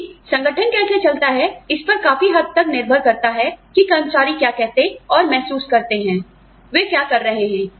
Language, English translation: Hindi, But, how the organization runs, has to depend largely on, what employees say and feel about, what they are doing